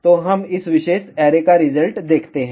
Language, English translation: Hindi, So, let us see the result of this particular array